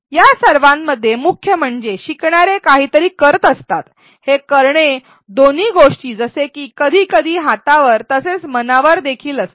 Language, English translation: Marathi, In all of these what is key is that the learner is doing something and this doing is both as it sometimes said hands on as well as minds on